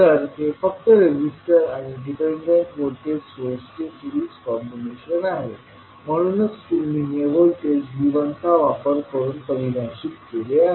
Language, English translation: Marathi, So this is simply a series combination of the resistor and the dependent voltage source that is why you define it in terms of voltage V1